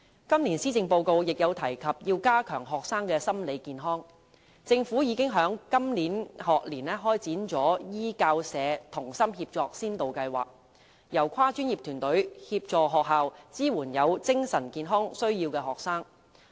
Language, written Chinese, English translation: Cantonese, 今年施政報告亦有提及須加強學生的心理健康，政府已在今個學年開展"醫教社同心協作先導計劃"，由跨專業團隊協助學校支援有精神健康需要的學生。, The Policy Address this year has mentioned the need to enhance the mental health of students . The Government has launched the Student Mental Health Support Scheme in the current school year for multi - disciplinary professional teams to assist schools in supporting students with mental health needs